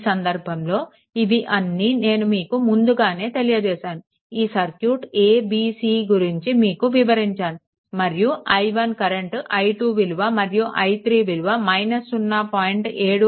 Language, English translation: Telugu, So, in this case your; all this things I have told all this things at that circuit a b c everything I told right and i 1 calculation also given i 2 I told i 3 also I told minus0